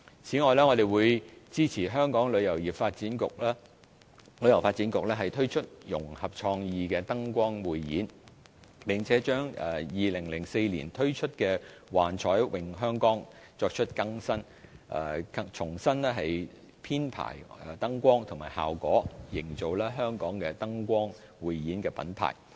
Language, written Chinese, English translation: Cantonese, 此外，我們會支持香港旅遊發展局推出融合創意的燈光匯演，並把2004年推出的"幻彩詠香江"作出更新，重新編排燈光和效果，營造香港的燈光匯演品牌。, Besides we will support the Hong Kong Tourism Board HKTB to launch creative light shows and renew the show of A Symphony of Lights first launched in 2004 by reprogramming its lights and effects to make the show a Hong Kong Brand light show